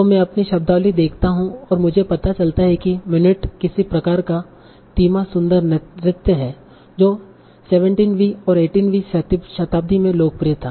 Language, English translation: Hindi, So suppose I see my vocabulary and I find that minuet is some sort of slow graceful trance, that was popular in 17 and 18th century age